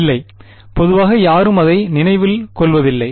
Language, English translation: Tamil, No yeah, no one usually remember it